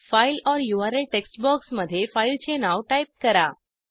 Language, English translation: Marathi, Type the file name in the File or URL text box